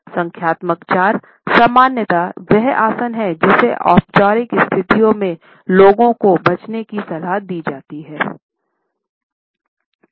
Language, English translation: Hindi, Numerical 4 is normally the posture which people are advised to avoid during formal situations